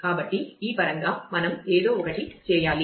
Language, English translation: Telugu, So, we will need to do something in terms of this